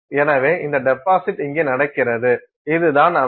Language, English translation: Tamil, So, this deposit is happening here and this is the system